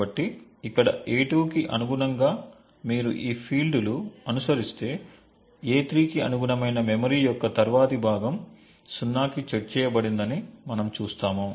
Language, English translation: Telugu, So, corresponding to a2 over here for instance if you just follow these fields, we see that the next chunk of memory corresponding to a3 the in use bit is set to 0